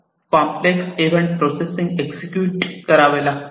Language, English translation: Marathi, So, a complex event processing will have to be performed